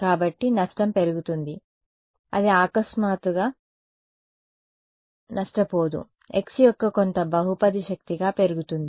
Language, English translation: Telugu, So, the loss increases as, it does not become suddenly lossy it increases as some polynomial power of x